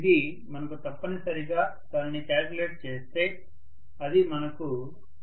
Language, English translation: Telugu, So this will give you essentially, if you calculate it, it will give you 4